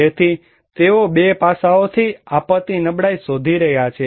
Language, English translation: Gujarati, So, they are looking disaster vulnerability from 2 aspects